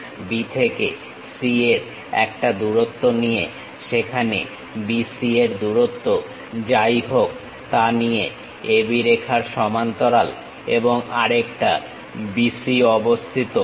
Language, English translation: Bengali, Parallel to AB line with a distance of B to C whatever the distance BC there and another BC located